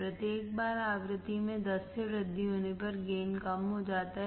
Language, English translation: Hindi, The gain decreases each time the frequency is increased by 10